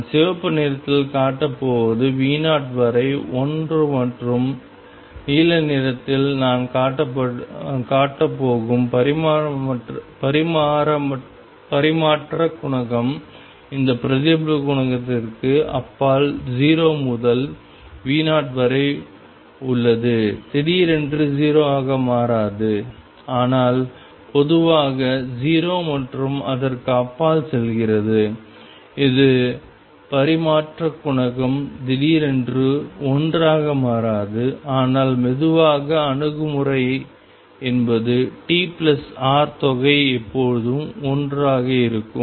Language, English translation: Tamil, Which I am going to show by red is one up to V 0 and the transmission coefficient which I am going to show by blue is 0 up to V 0 beyond this reflection coefficient does not become 0 all of a sudden, but slowly goes to 0 and beyond this, the transmission coefficient suddenly does not become one, but slowly approach is one such that the sum t plus r is always one